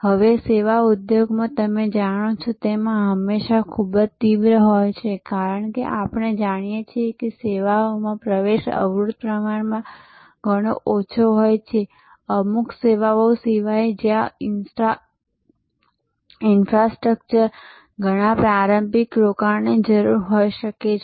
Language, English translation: Gujarati, Now, this as you know in the services industry is always very intense, because in services as we know entry barrier is relatively much lower except in certain services, where there may be a lot of initial investment needed in infrastructure